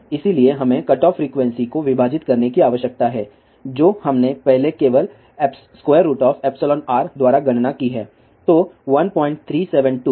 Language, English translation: Hindi, So, we need to divide cutoff frequencies we have calculated earlier by under root of epsilon r only